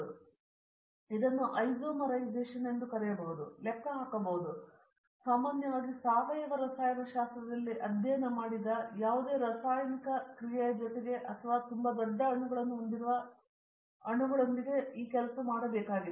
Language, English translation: Kannada, So, this is called can be isomerization, it can be calculation, it can be addition or whatever chemical reaction that we have studied in general organic chemistry, but it has to be done with this molecules which is a very big molecules